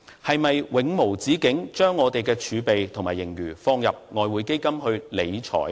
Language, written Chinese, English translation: Cantonese, 是否要永無止境地把我們的儲備和盈餘放入外匯基金去理財呢？, Do we need to indefinitely place our reserves and surplus into the Exchange Fund for capital management?